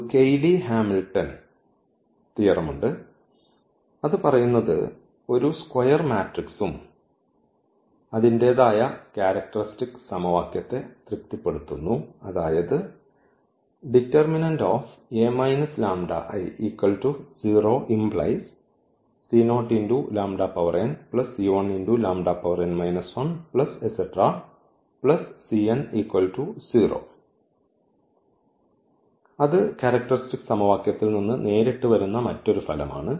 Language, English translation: Malayalam, So, there is a Cayley Hamilton theorem which says that every square matrix satisfy its own characteristic equation, that is another result which directly coming from the characteristic equation that every square matrix satisfies its own characteristic equation